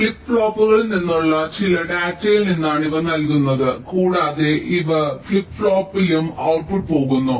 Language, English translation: Malayalam, ok, these are fed from some data coming from flip flops here and the output is also going in the flip flop